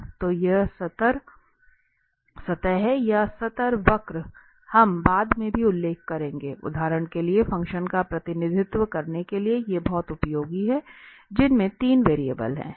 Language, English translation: Hindi, So, these level surfaces or level curves, we will also mention later, these are very useful for representing for instance the functions which have 3 variables